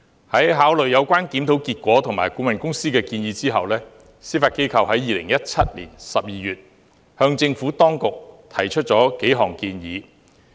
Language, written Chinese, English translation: Cantonese, 在考慮有關檢討結果及顧問公司的建議後，司法機構在2017年12月向政府當局提出了數項建議。, Having regard to the outcome of the review and the consultants recommendations the Judiciary put forward a number of recommendations to the Administration in December 2017